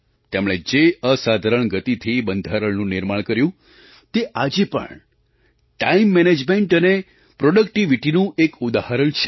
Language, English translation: Gujarati, The extraordinary pace at which they drafted the Constitution is an example of Time Management and productivity to emulate even today